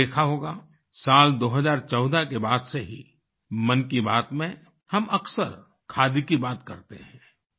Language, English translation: Hindi, You must have noticed that year 2014 onwards, we often touch upon Khadi in Mann ki Baat